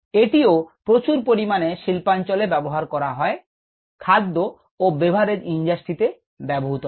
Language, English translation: Bengali, this is also used heavily in the industry, in the food industry industry